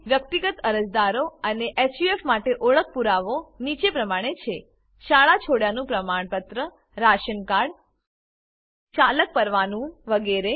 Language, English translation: Gujarati, Proof of identity for Individual applicants and HUF are School leaving certificate Ration Card Drivers license etc